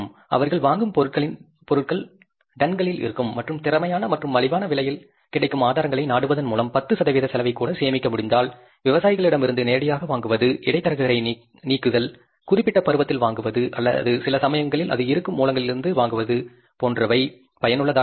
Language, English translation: Tamil, You talk about in the practical sense the companies who buy the material that is in the bulk, in the tons of the materials they buy, and if they are able to save even 10% of cost by resorting to the efficient sources like directly buying from the farmers, removing the middleman, buying during the season, or sometimes buying from the sources where it is available at the cheapest cost